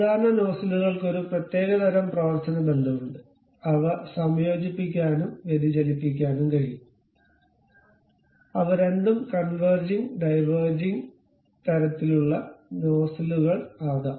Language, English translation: Malayalam, The typical nozzles have one particular kind of functional relations, they can be converging, they can be diverging, they can be both converging diverging kind of nozzles